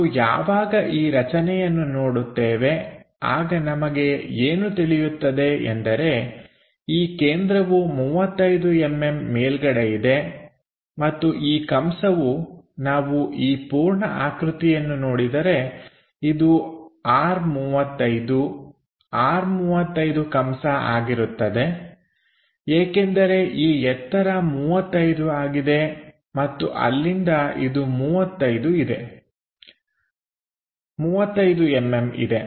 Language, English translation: Kannada, When we are looking at that this center is at 35 mm above and this arc when we are looking this entire thing comes at R 35 R35 arc because this height is 35 and from there 35 mm we have it